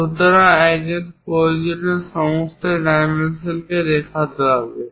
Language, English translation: Bengali, So, one has to show all the dimensions whatever required